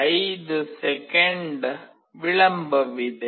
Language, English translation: Kannada, 5 second delay